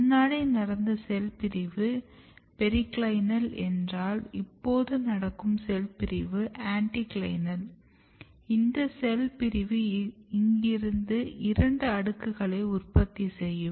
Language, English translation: Tamil, So, this cell division if it is periclinal this is called anticlinal and this cell division essentially generates two layers from here onwards